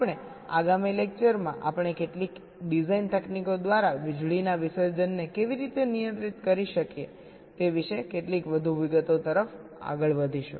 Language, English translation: Gujarati, in our next lectures we shall be moving in to some more details about how we can actually control power dissipations by some design techniques